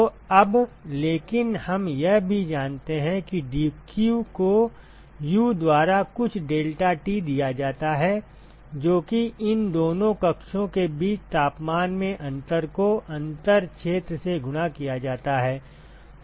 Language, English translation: Hindi, So, now, but we also know that dq is given by U some deltaT ok, which is the difference in the temperature between these two chambers multiplied by the differential area